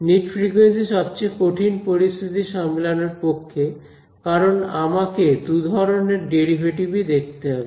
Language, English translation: Bengali, Mid frequency is the most difficult situation to handle because I have to take care of both these derivatives ok